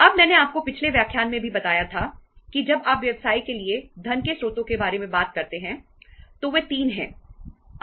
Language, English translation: Hindi, Now I told you in the last lecture also that when you talk about the sources of the funds for the business, they are 3